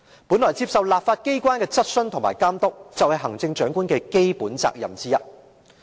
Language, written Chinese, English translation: Cantonese, 本來接受立法機關的質詢和監督，是行政長官的基本責任之一。, Actually one of the basic duties of the Chief Executive is to answer questions raised by the legislature and accept its monitoring